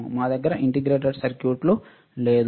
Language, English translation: Telugu, We do not have integrated circuits